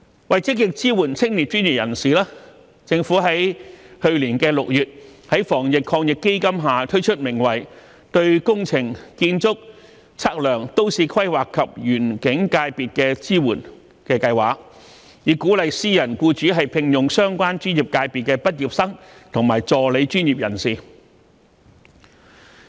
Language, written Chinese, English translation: Cantonese, 為積極支援青年專業人士，政府去年6月在防疫抗疫基金下推出名為"對工程、建築、測量、都市規劃及園境界別的支援"的計劃，以鼓勵私人僱主聘用相關專業界別的畢業生和助理專業人士。, To support young professionals proactively the Government introduced the Anti - epidemic Fund―Support for Engineering Architectural Surveying Town Planning and Landscape Sectors with a view to encouraging and supporting employers of private organizations to employ graduates and assistant professionals of the relevant professional sectors